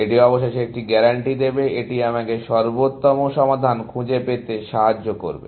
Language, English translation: Bengali, It will guarantee eventually, it will find me the optimal solution